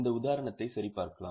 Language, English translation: Tamil, Let us take this example